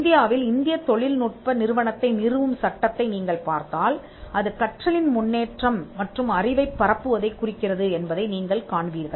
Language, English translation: Tamil, Know if you look at the statute that establishes the Indian Institute of Technologies in India, you will find that it refers to advancement of learning and dissemination of knowledge